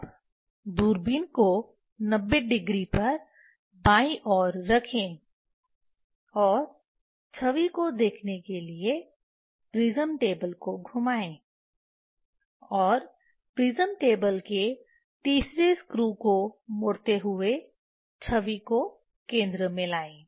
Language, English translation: Hindi, Now, place the telescope in left side at 90 degree and rotate the prism table to see the image and bring the image at the centre turning the third screw of the prism table